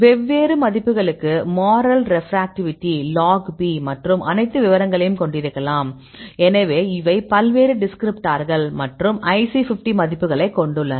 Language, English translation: Tamil, Now, we can have different values moral refractivity a log P and all the details; so, these are the various descriptors, so here we have IC50 values